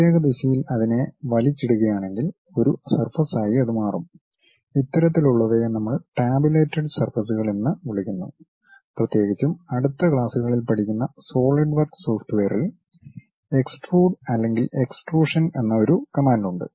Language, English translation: Malayalam, If I am dragging that along particular direction it forms a surface, that kind of things what we call this tabulated surfaces and especially, a software like SolidWork which we will learn it in next classes, there is a command named extrude or extrusion